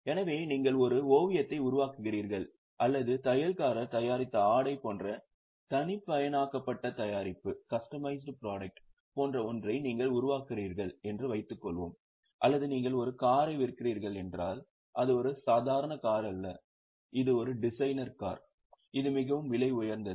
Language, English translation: Tamil, So, suppose you are making a painting or you are making something like customized product like say tailor made garment or if you are selling a car but it's not a normal car, it's a designer car which is extremely costly